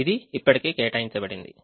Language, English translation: Telugu, its already assigned